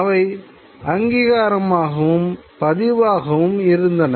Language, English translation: Tamil, These were also meant for recognition and record